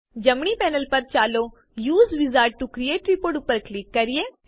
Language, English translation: Gujarati, On the right panel, let us click on Use Wizard to create report